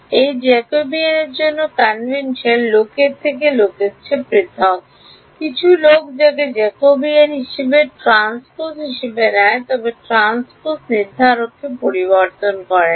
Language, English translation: Bengali, The convention for this Jacobian differs from people to people some people take the transpose of this as the Jacobian whatever, but transpose does not alter determinant